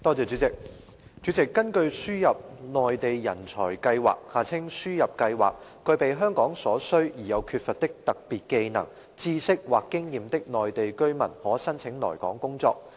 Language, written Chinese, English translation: Cantonese, 主席，根據輸入內地人才計劃，具備香港所需而又缺乏的特別技能、知識或經驗的內地居民可申請來港工作。, President under the Admission Scheme for Mainland Talents and Professionals ASMTP Mainland residents who possess special skills knowledge or experience of value to and not readily available in Hong Kong may apply to come to work in Hong Kong